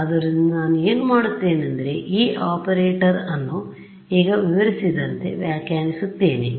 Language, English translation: Kannada, So, what I do is I redefine this operator itself ok, in a way that I will describe right now